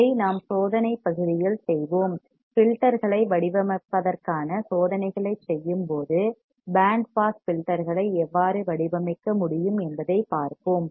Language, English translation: Tamil, This we will perform in the experimental portion, when we perform the experiments for designing the filters, we will see how we can design a band pass filter